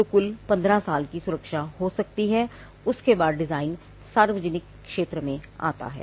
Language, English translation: Hindi, So, there can be a total protection of 15 years, and after which the design falls into the public domain